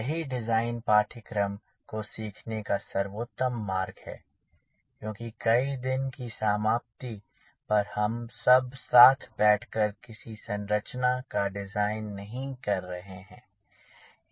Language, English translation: Hindi, that is the best way to learn a design course because at the end of the day, we are not sitting together to design any configuration